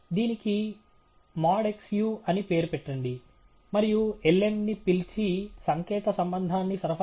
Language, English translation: Telugu, Let’s call this as mod xu, and call the lm, and supply the symbolic relationship